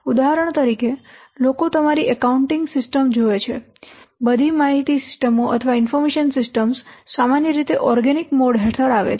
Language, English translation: Gujarati, For example, if you will see your accounting system, all the information systems are normally coming under organic mode